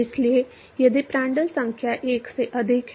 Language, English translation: Hindi, So, so if Prandtl number is greater than 1